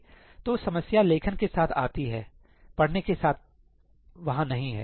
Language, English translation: Hindi, So, problem comes with writing; with reading, there is no issue